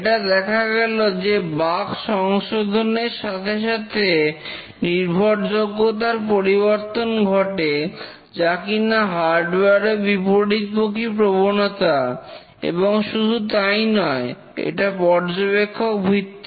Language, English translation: Bengali, It's seen that the reliability changes as bugs are detected unlike the hardware and not only that it is observer dependent